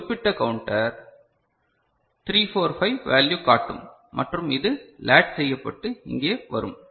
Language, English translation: Tamil, So, this particular counter will show 345 value and that is getting latched and it will come over here this is clear